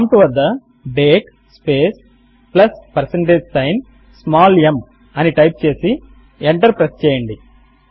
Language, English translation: Telugu, Type at the prompt date space plus percentage sign small h and press enter